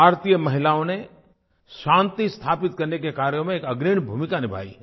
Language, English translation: Hindi, Indian women have played a leading role in peace keeping efforts